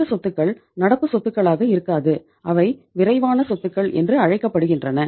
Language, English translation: Tamil, These assets not remain current assets they are called as quick assets